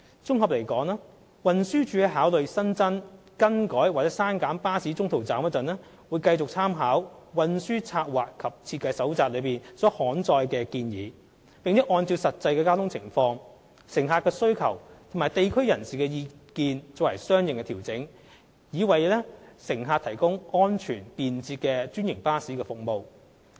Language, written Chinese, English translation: Cantonese, 綜合而言，運輸署在考慮新增、更改或刪減巴士中途站時，會繼續參考《運輸策劃及設計手冊》所載的建議，並按實際交通情況、乘客需求，以及地區人士的意見作相應調整，藉以為乘客提供安全便捷的專營巴士服務。, All in all when considering adding changing or cancelling en - route bus stops TD will continue to make reference to the suggestions in the Transport Planning and Design Manual and make corresponding adjustments having regard to the actual traffic conditions passenger demand and views of the local community so as to provide passengers with safe and convenient franchised bus services